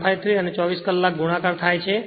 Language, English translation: Gujarati, 153 and 24 hours multiplied, it will be 3